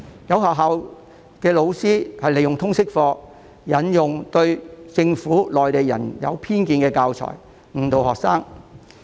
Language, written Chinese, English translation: Cantonese, 有學校老師透過通識科，利用對政府和內地人有偏見的教材，誤導學生。, Some school teachers have made use of the Liberal Studies subject to mislead their students with teaching materials that are biased against the Government and Mainlanders